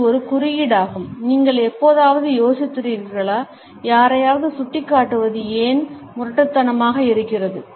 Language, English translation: Tamil, It is the symbolism of the, have you ever wondered, why it is rude to point at somebody